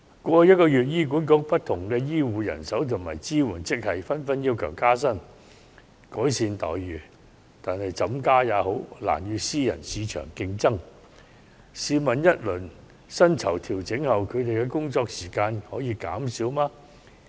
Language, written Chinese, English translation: Cantonese, 過去一個月，醫管局不同醫護和支援職系人員紛紛要求加薪，改善待遇，但怎樣加薪，他們的待遇也難與私人市場競爭，因為試問在薪酬調整後，他們的工作時間可以減少嗎？, Over the past month staff of HA in the health care and supporting grades have demanded pay rise and improvement in fringe benefits . Such increases however can never make their pay comparable to that of the private sector